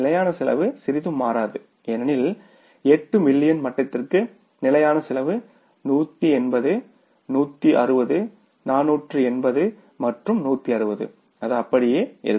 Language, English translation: Tamil, Fix cost will not change at all because for the 8 million level what is the fixed cost, 180, 160 and 160 that will remain the same